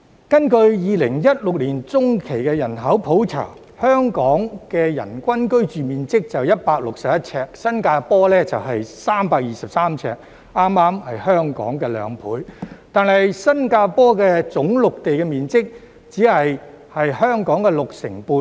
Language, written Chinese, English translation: Cantonese, 根據2016年的中期人口普查，香港人均居住面積只有161平方呎，新加坡是323平方呎，恰好是香港的兩倍，但新加坡總陸地面積只有香港六成半。, According to the 2016 Population By - census the per capita living space of Hong Kong is only 161 sq ft while that of Singapore is 323 sq ft exactly twice the size of Hong Kong . But the total land area of Singapore is only 65 % of that of Hong Kong